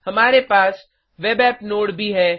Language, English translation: Hindi, We also have a web app node